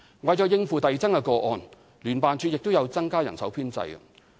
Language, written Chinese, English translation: Cantonese, 為應付遞增的個案，聯辦處亦有增加人手編制。, JO has increased the manpower to tackle the increasing number of reports